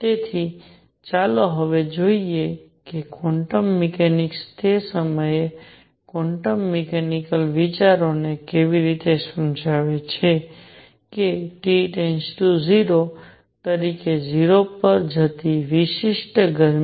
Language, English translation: Gujarati, So, let us see now, how quantum mechanics ideas quantum mechanical ideas at that time explained the specific heat going to 0 as T goes to 0